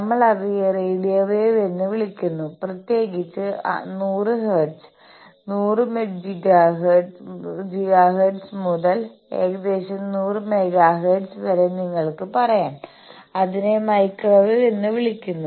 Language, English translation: Malayalam, We roughly call radio waves and a part of that particularly you can say 100 hertz, 100 gigahertz to roughly 100 megahertz that is called microwaves